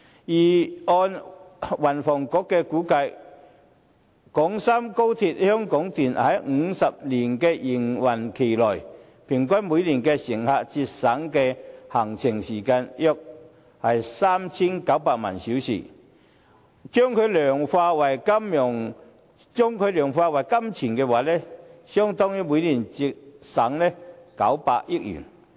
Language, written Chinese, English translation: Cantonese, 根據運輸及房屋局的估計，廣深港高鐵香港段在50年營運期內，平均每年可為乘客節省的行程時間約 3,900 萬小時，如果量化為金錢，相當於每年節省900億元。, The Transport and Housing Bureau estimates that in the 50 - year operation of the Hong Kong Section of XRL roughly 39 million hours of travel time will be saved annually . Quantified in money terms this will mean a saving of 90 billion annually